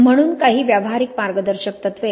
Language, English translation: Marathi, So some practical guidelines